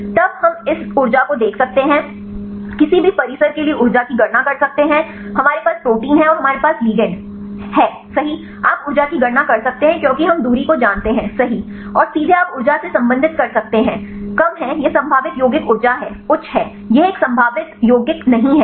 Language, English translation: Hindi, Then we can see this energy and calculate the energy for any complex, we have protein and we have the ligand right you can calculate the energy because we know the distance right and directly you can relate the energy is low this is the probable compound the energy is high this is not a probable compound